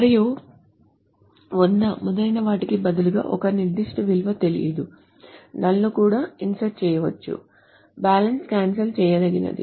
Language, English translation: Telugu, And instead of 100, et cetera, a particular value is not known and null can be also inserted